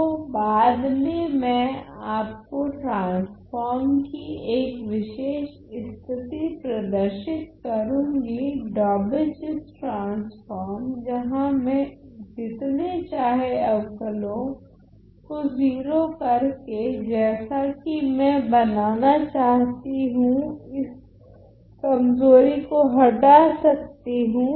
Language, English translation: Hindi, So, later on I will show you a special case of a transform that is the Daubechies transform, where I can remove this weakness by assuming as many derivatives to vanish to 0 as I want to construct ok